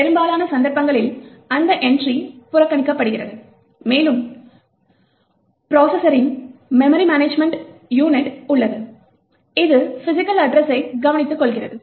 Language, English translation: Tamil, In most of the cases, this particular entry is ignored and we have the memory management unit of the processor which takes care of managing the physical address